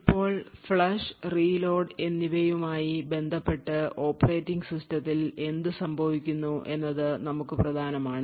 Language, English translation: Malayalam, Now, important for us with respect to the flush and reload is what happens in the operating system